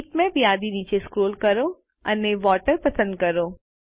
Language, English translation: Gujarati, Scroll down the list of bitmaps and select Water